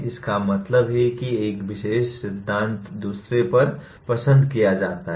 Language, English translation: Hindi, That means one particular theory is preferred over the other